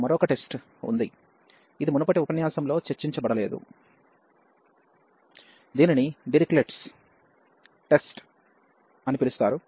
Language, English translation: Telugu, Now, we have one more test, which was not discussed in the previous lecture that is called the Dirichlet’s test